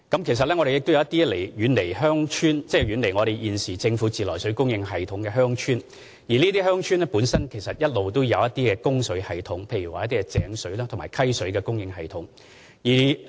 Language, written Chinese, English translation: Cantonese, 其實，一些遠離政府自來水供應系統的鄉村一直也設有供水系統，例如井水和溪水供應系統。, In fact some villages that are far away from treated water supply networks of the Government have access to water supply systems such as those supplying stream or well water